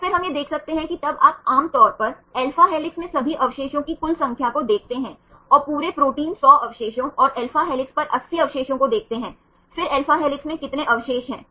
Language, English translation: Hindi, So, then we can see that then normally you see the total number of all the residues in alpha helix the whole protein the 100 residues and 80 residues on alpha helix then how many residues in alpha helix